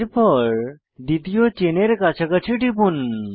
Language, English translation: Bengali, Next, click near the second chain position